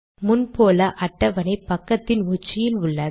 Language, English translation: Tamil, So as before the table got placed at the top of this page